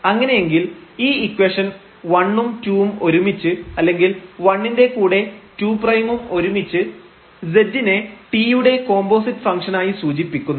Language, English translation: Malayalam, Then the equations here 1 and this 2 together or 1 with this 2 prime together are said to be to define z as composite function of t or in this case composite function of u and v